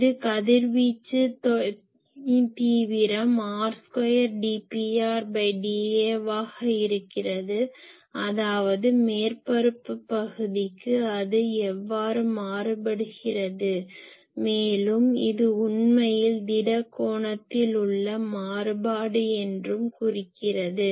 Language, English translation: Tamil, This is the radiation intensity is r square into d P r ,d A that means per surface area how that is varying and this is actually the variation along the solid angle